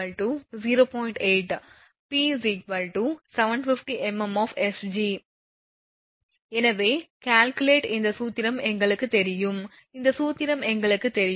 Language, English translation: Tamil, 80 p is 750 mm of mercury therefore, delta you calculate this formula is known to us this formula is known to us